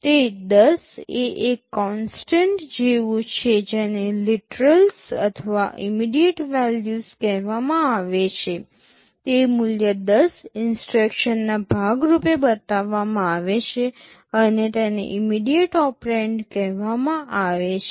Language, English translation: Gujarati, That 10 is like a constant that is called a literal or an immediate value, that value 10 is specified as part of the instruction and is called immediate operand